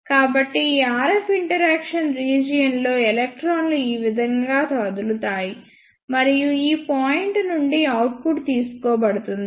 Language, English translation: Telugu, So, this is how electrons will move in the RF interaction region and output will be taken from this point